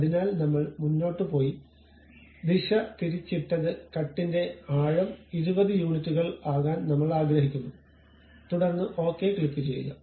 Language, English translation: Malayalam, So, I went ahead, reversed the direction may be depth of cut I would like to make it something like 20 units and then click ok